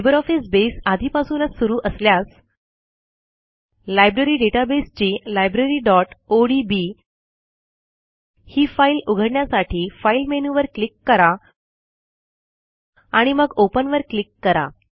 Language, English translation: Marathi, If LibreOffice Base is already open, Then we can open the Library database file Library.odb by clicking on the File menu on the top and then clicking on Open